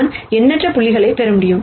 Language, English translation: Tamil, So, I can get infinite number of points